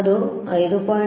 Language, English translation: Kannada, Here it is 5